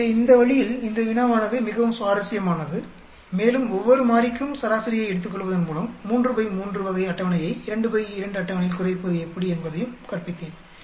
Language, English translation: Tamil, So, that way this problem is extremely interesting and also I taught how to reduce from a 3 by 3 type of table into a 2 by 2 table by taking average of for each variable